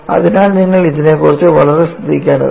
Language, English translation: Malayalam, So, that is what you have to be very careful about it